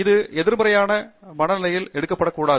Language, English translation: Tamil, That should not be taken in a negative stride